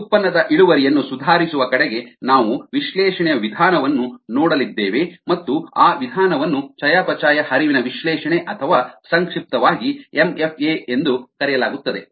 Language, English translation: Kannada, we are going to look at a method of analysis toward improving product yields, and that method is called metabolic flux analysis, or m f a for short